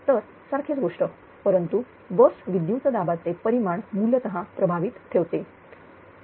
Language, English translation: Marathi, So, almost same thing; but leaves the bus voltage magnitudes essentially unaffected